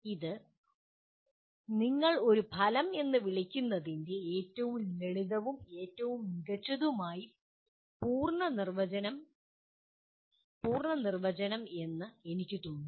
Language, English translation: Malayalam, I feel this is about the simplest and most what do you call complete definition of what an outcome is